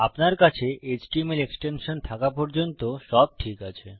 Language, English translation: Bengali, As long as youve got an html extension, youre fine